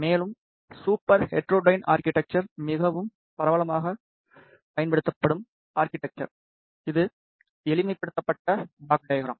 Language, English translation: Tamil, And, super heterodyne architecture is the most widely used architecture, this is the simplified block diagram